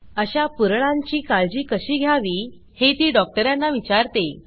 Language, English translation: Marathi, She asks the doctor how to take care of such rashes